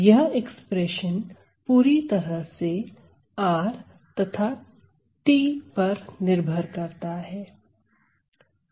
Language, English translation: Hindi, So, the expression is completely dependent on r and t ok